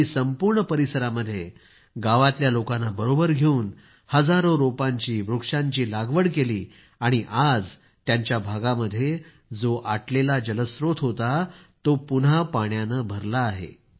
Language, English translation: Marathi, Along with fellow villagers, he planted thousands of trees over the entire area…and today, the dried up water source at the place is filled to the brim once again